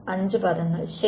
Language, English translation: Malayalam, 5 terms right